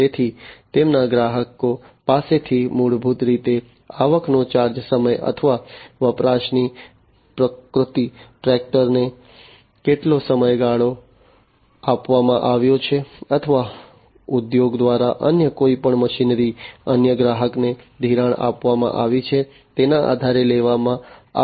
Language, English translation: Gujarati, So, their customers are basically charged with the revenues based on the time or the nature of the usage, how much duration the tractor has been lent or any other machinery by the industry, has been lent to another customer